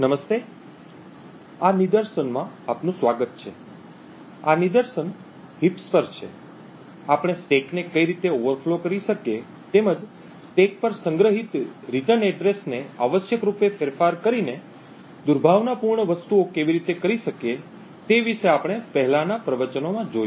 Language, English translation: Gujarati, Hello, welcome to this demonstration, so this demonstration is on heaps, we have seen in the previous lectures about how we could overflow the stack and be able to do malicious things by essentially modifying the return address which is stored on the stack, we can also do something very similar by overflowing heap locations